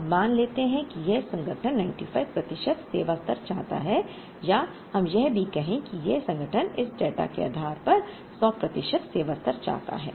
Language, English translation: Hindi, Now,let us assume that this organization wants a 95 percent service level, or let us even say that this organization wants a 100 percent service level based on this data